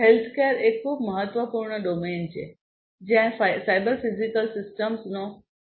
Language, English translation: Gujarati, Healthcare is a very important domain where cyber physical systems are widely used